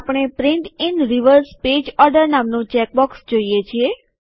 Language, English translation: Gujarati, We see a check box namely Print in reverse page order